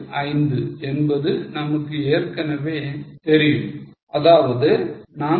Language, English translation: Tamil, 875 minus 8, it should be 7